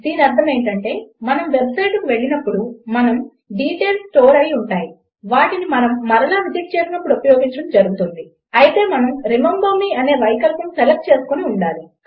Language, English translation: Telugu, This means, that when we go to a website, our details are stored and are used when we visit it again, provided we select an option like Remember me